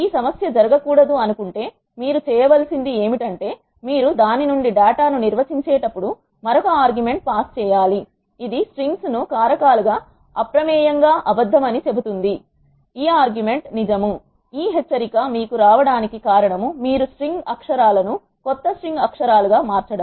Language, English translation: Telugu, If you do not want this issue to happen what you have to do is while defining the data from itself you need to pass another argument, which says strings as factors is false by default this argument is true that is the reason why you get this warning message when you want to change the string characters into new string characters as an element